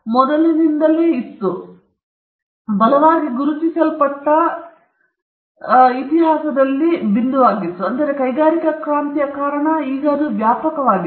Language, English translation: Kannada, So, that was a point in history where the right became recognized, and because of the industrial revolution, it spread far and wide